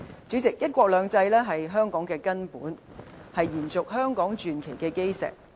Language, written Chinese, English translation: Cantonese, 主席，"一國兩制"是香港的根本，是延續香港傳奇的基石。, President one country two systems is Hong Kongs foundation the cornerstone to extend the legend of Hong Kong